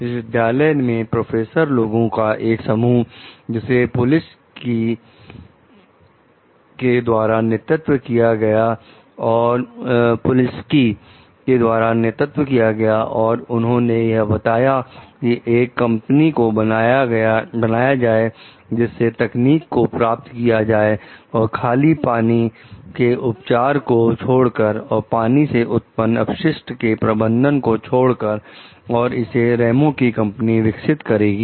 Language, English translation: Hindi, At the university, a group of professors, led by Polinski, decides to form a company to exploit the technology obtained, except for water treatment and water waste management that Ramos s company will develop